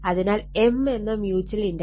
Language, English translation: Malayalam, So, M will become mutual inductance will become 0